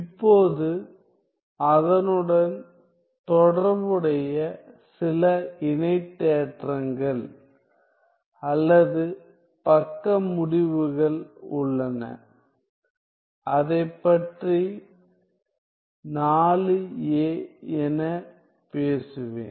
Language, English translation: Tamil, Now, then there are some corresponding corollaries or side results, let me talk about it as 4a